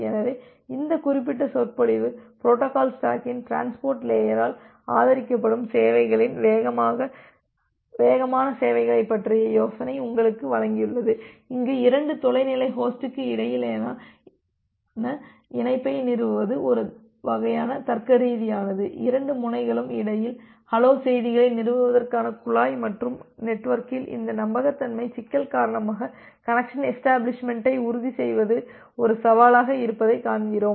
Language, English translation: Tamil, So, this particular lecture it has given you the idea about the fast services, fast of the services which is being supported by the transport layer of the protocol stack, where we need to establish the connection between two remote host which is a kind of logical pipe to establish the hello messages between two end and because of this reliability problem in the network, we see that ensuring the connection establishment is a challenge